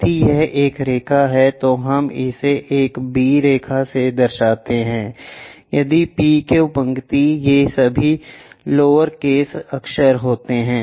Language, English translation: Hindi, If it is a line, we show it by a b line, may be p q line, all these are lower case letters